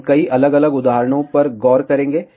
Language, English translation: Hindi, We will look at several different examples